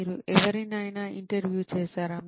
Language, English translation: Telugu, Have you interviewed anyone